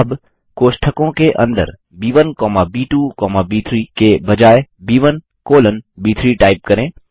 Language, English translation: Hindi, Now, within the braces, instead of B1 comma B2 comma B3, type B1 colon B3 Press Enter